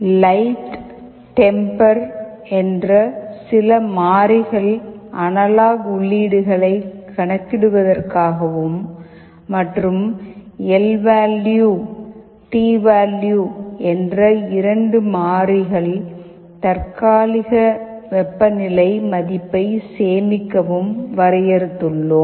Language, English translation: Tamil, And some variables we have defined light, temper for calculating the analog inputs, and lvalue and tvalue to store temporary temperature value in two variables